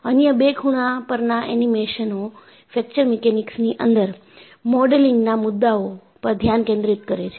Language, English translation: Gujarati, The other two corner animations focus on the modeling issues in Fracture Mechanics